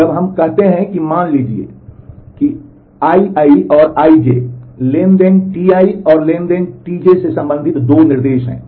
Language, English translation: Hindi, Now, we say that suppose I i and I j, 2 instructions for belonging to transaction T i and transaction T j